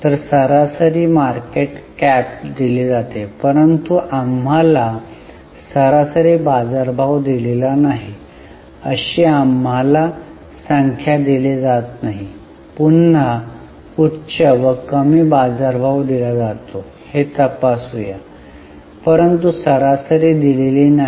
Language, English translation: Marathi, So, average market cap is given but we have not been given number of we have not been given average market price let us check again high and low market price is given but average is not given